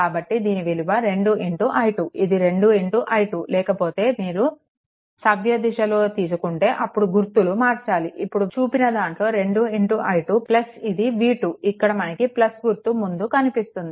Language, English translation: Telugu, So, it will be 2 into i 2 that 2 into i 2 right otherwise clockwise if you take sign has to be change thats all 2 into i 2 plus this v v 2 it is encountering plus terminal first